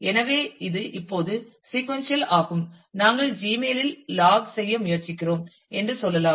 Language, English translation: Tamil, So, this is the sequential now, let us say we are trying to log in to Gmail